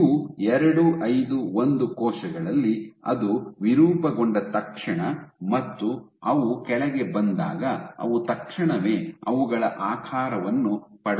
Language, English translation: Kannada, In U251 cells, as soon as it deformed when you when they let go when they came underneath they immediately regain their shape